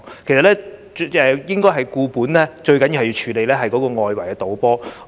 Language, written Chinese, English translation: Cantonese, 其實，要"固本"最重要是處理外圍賭波的問題。, In fact to address the problem at root it is paramount to tackle illegal football betting